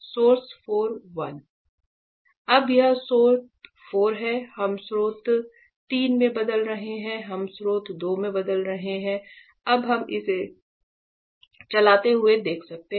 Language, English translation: Hindi, Now, it is in source 4, we are changing to source 3; we are changing to source 2; now we can see it moving